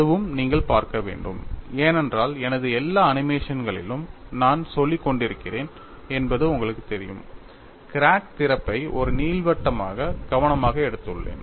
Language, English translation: Tamil, That is also you have to look at, because you know I have been saying in all my animations I have taken carefully the crack opening as an ellipse